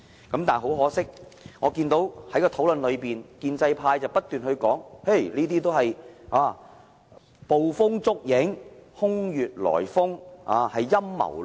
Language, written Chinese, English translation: Cantonese, 但是，很可惜，我在討論中看到建制派不斷說這些都是捕風捉影、空穴來風，是陰謀論。, However it is unfortunate that I have seen the establishment keeps on saying in the debate that we are just over - suspicious the argument is unfounded and conspiratorial